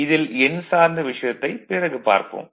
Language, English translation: Tamil, So, another thing numerical, we will come later